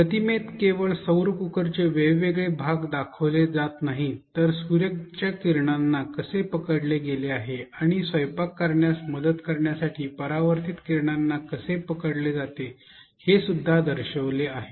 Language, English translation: Marathi, The image not only shows a different parts of solar cooker, it also shows how the sunrays are captured the incident and the reflected rise are captured to help in the cooking